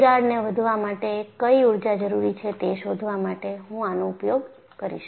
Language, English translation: Gujarati, I will use it for finding out what is the energy required for fracture growth